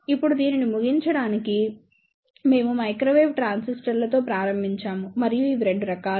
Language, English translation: Telugu, Now, to conclude this, we started with microwave transistors and these are of 2 types